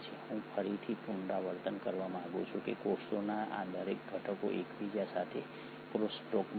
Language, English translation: Gujarati, I again want to reiterate that each of these components of the cells are in crosstalk with each other